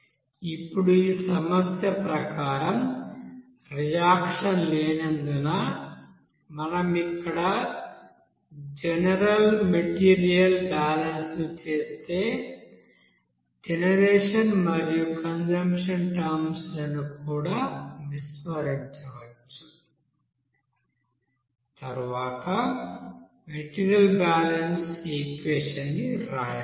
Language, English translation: Telugu, Now again according to this problem, if we do the general material balance here since there is no reaction here, we can also neglect here that generation and consumption terms and then finally we can write that you know, material balance equation